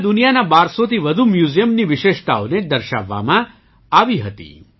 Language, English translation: Gujarati, It depicted the specialities of more than 1200 museums of the world